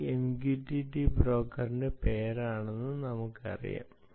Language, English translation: Malayalam, lets say this is the name of the ah mqtt broker